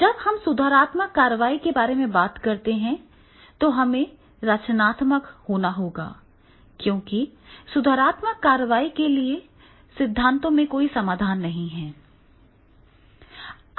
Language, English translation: Hindi, When we talk about the corrective action, then we have to be creative because there is no solution in theories for the corrective action is there